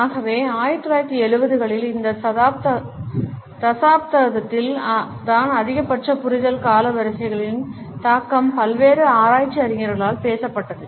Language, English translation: Tamil, So, it is in this decade of 1970s that the maximum understanding of the impact of chronemics was being talked about by various research scholars